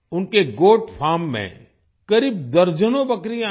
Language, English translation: Hindi, There are about dozens of goats at their Goat Farm